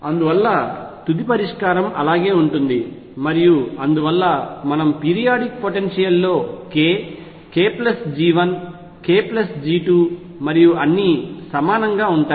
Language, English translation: Telugu, And therefore, the final solution remains the same and therefore, what we conclude is that in a periodic potential k, k plus G 1 k plus G 2 and so on are all equivalent